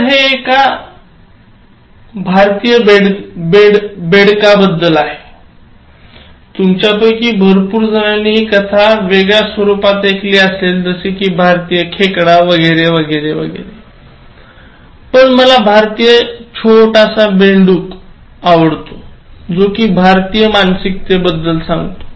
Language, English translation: Marathi, So, this is about the Indian frog: Some of you might have heard this in different versions like Indian crabs and all that, but I like the title Indian frog, which actually talks about the Indian mindset